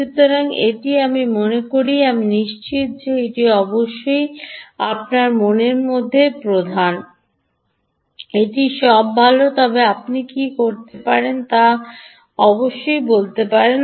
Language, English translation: Bengali, ok, so this is, i think i am sure is prime in your mind: ah, its all good, but can you, what can you do